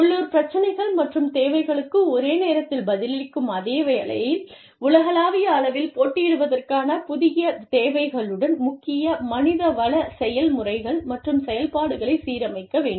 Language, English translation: Tamil, Aligning, core HR processes and activities, with new requirements of competing globally, while simultaneously, responding to local issues and requirements